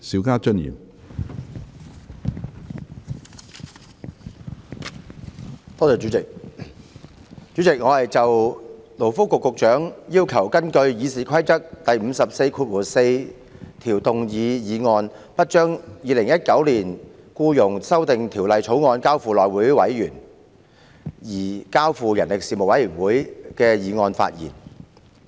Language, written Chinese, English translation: Cantonese, 主席，我就勞工及福利局局長根據《議事規則》第544條動議有關不將《2019年僱傭條例草案》交付內務委員會而交付人力事務委員會處理的議案發言。, President I am going to speak on the motion moved by the Secretary for Labour and Welfare under Rule 544 of the Rules of Procedure RoP that the Second Reading debate on the Employment Amendment Bill 2019 the Bill be adjourned and the Bill be referred to the Panel on Manpower instead of the House Committee HC